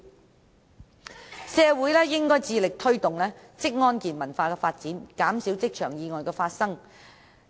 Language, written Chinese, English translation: Cantonese, 總結而言，社會應致力推動職安健文化的發展，減少職場意外的發生。, In summary we should be committed to promoting occupational safety and health culture in the community to minimize the number of work - related accidents